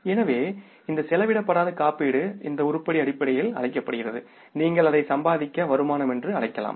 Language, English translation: Tamil, So this unexpired insurance, this item is called as basically the, you can call it as accrued incomes